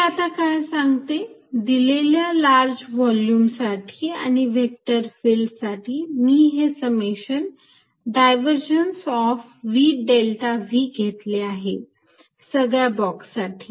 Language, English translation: Marathi, What it says, is that given a volume large volume and vector field through this I did this summation divergence of v delta v over all boxes